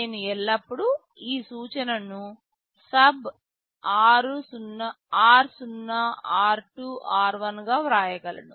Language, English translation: Telugu, I can always write this instruction as SUB r0, r2, r1